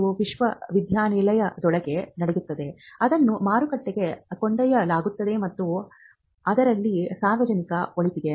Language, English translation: Kannada, So, there is whatever happens within the university does not remain there, it is taken to the market and there is a public good involved in it